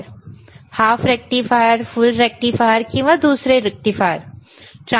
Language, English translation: Marathi, hHalf a rectifier, full a rectifier, is there or another rectifiers